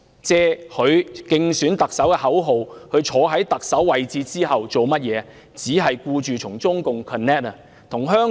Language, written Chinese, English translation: Cantonese, 自她推出競選特首的口號並坐上特首之位後，她有何功績呢？, What achievements has she made since she introduced her election slogan and became the Chief Executive?